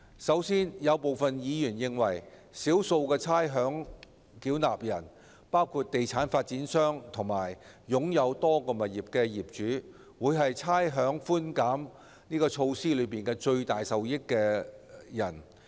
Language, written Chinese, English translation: Cantonese, 首先，有部分議員認為，少數的差餉繳納人，包括地產發展商和擁有多個物業的業主，會是差餉寬減措施的最大受益人。, To begin with some Members consider that a small number of ratepayers including property developers and owners with multiple properties will be the largest beneficiaries of the rates concession measure